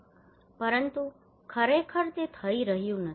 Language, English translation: Gujarati, But actually it is not happening